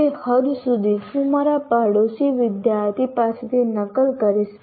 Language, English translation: Gujarati, So to that extent I will just copy from my neighboring student